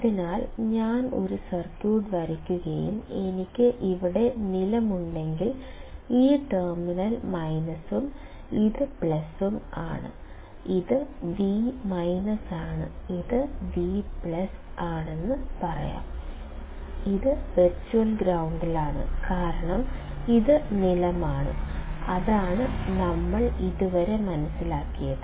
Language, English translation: Malayalam, So, if I draw a circuit and if I have ground here, then this terminal minus and plus; let us say this is V minus, this is V plus, then this is at virtual ground because this is ground, that is what we have understood until now